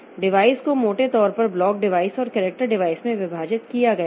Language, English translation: Hindi, Devices are broadly divided into block devices and character devices